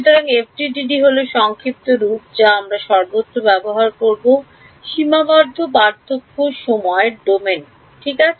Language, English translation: Bengali, So, FDTD that is the short form that we will be using throughout, Finite Difference Time Domain ok